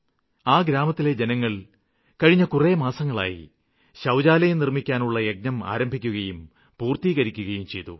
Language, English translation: Malayalam, The inhabitants of this village from last few months tried and lead a campaign for building toilets in the village